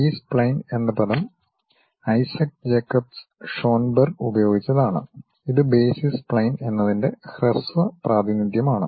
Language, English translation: Malayalam, The term B spline was coined by Isaac Jacob Schoenberg and it is a short representation of saying basis spline